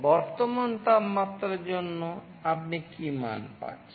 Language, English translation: Bengali, For that current temperature, what value you are getting